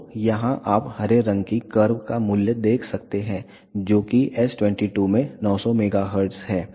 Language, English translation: Hindi, So, here you can see the value of green curve that is s 22 at 900 megahertz